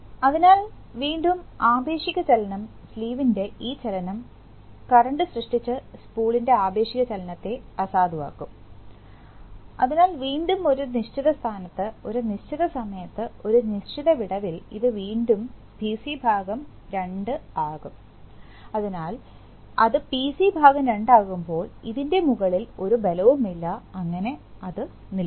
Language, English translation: Malayalam, So, again the relative motion this motion of the sleeve will nullify the relative motion of the spool which was created by the current, so again at a certain position, at a certain, at a certain gap again this will become PC by 2, so now the, when it, the moment it becomes PC by two, there is no force on this and it will come to stop